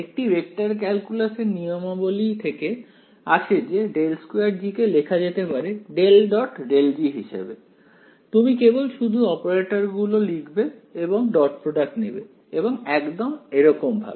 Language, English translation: Bengali, This follows from the rules of vector calculus that del squared G can be written as the divergence of grad G, you can just write out the operators take the dot product will get exactly this ok